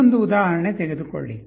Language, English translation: Kannada, Take another example